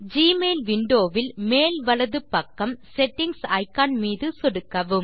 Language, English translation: Tamil, Click on the Settings icon on the top right of the Gmail window